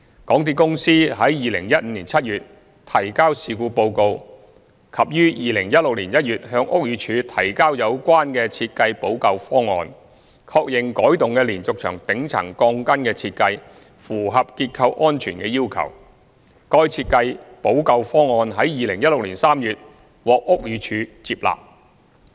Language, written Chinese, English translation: Cantonese, 港鐵公司於2015年7月提交事故報告及於2016年1月向屋宇署提交有關設計補救方案，確認改動的連續牆頂層鋼筋的設計符合結構安全的要求，該設計補救方案於2016年3月獲屋宇署接納。, MTRCL submitted a report on the incident on July 2015 and presented to BD in January 2016 its remedial proposal for the relevant design confirming that the altered design for the steel reinforcement bars at the top part of the diaphragm walls was compliant with structural safety requirements . The remedial proposal was accepted by BD in March 2016